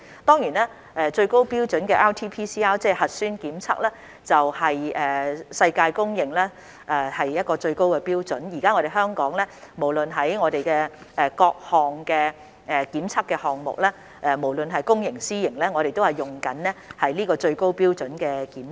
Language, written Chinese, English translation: Cantonese, 當然，最高標準的 RT-PCR 核酸檢測是世界公認的最高標準，現時香港的所有檢測項目，無論是公營或私營，皆採用這種最高標準的檢測。, Certainly RT - PCR nucleic acid test is globally recognized as the highest standard of test and currently both the public and private sectors are using this testing technique in all the testing items in Hong Kong